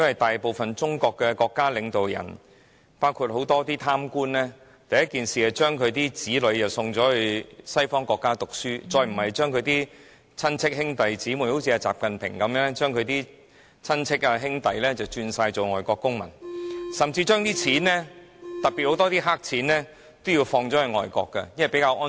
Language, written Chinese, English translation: Cantonese, 大部分中國的國家領導人——包括很多貪官，都盡早將子女送到西方國家讀書，甚至把親戚、兄弟姊妹——正如習近平的親戚、兄弟，轉做外國公民，還將資金——特別是大量黑錢轉移到外國去，因為那裏比較安全。, Most of the leaders of China―including a lot of corrupted officials have sent their children abroad to study in western countries or they have even made their relatives and siblings―such as XI Jinpings kin and brothers become foreign citizens . They even transferred money―in particular a large amount of bribe money to foreign countries because it would be safer to do so